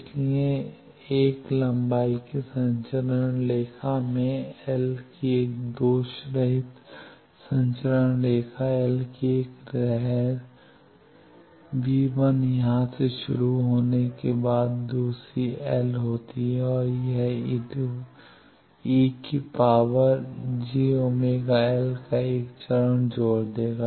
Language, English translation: Hindi, So, in a transmission line of length l a lossless transmission line of length l a wave started from here v1 plus after going distance l it will add a phase of e to the power minus j beta l